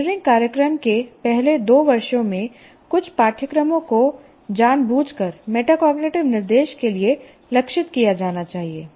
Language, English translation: Hindi, A few courses in the first two years of engineering program should be targeted for a deliberate metacognitive instruction